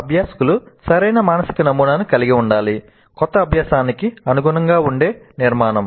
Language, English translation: Telugu, And the learners must have a correct mental model, a structure which can accommodate the new learning